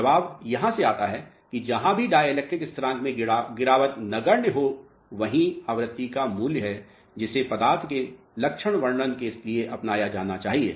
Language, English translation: Hindi, So, the answer comes from here, wherever the drop in dielectric constant is negligible that is the value of frequency which should be adopted for characterization of material